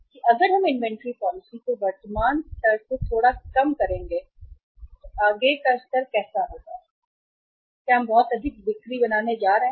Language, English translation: Hindi, That if we loosen the inventory policy from present level to little uh say say furthermore level how much in increased sales we are going to make